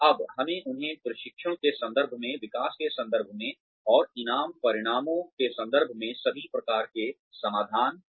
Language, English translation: Hindi, Now, let us give them, all kinds of resources, in terms of training, in terms of development, and in terms of reward outcomes